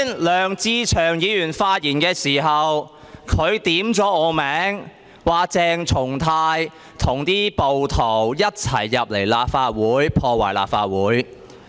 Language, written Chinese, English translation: Cantonese, 梁志祥議員剛才發言時，點名指我和暴徒一同進入立法會進行破壞。, Mr LEUNG Che - cheung specifically mentioned my name in his speech alleging that rioters and I went inside the Legislative Council Complex for vandalism